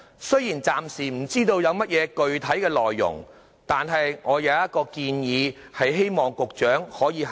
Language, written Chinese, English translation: Cantonese, 雖然暫時不知有何具體內容，但我有一項建議，希望局長考慮。, Although we do not know the specific details yet I do have a suggestion for the Secretarys consideration